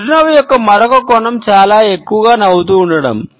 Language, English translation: Telugu, Another aspect of a smile is related with too much smiling